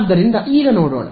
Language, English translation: Kannada, So, let us see now